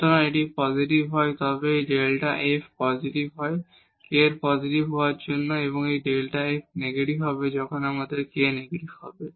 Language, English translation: Bengali, So, if it is positive in that case this delta f will be positive for k positive and this delta f will be negative when we have k negative